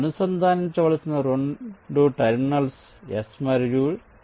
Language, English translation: Telugu, so the two terminals to be connected are s and t